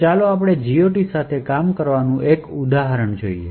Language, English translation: Gujarati, Let us look at an example of working with GOT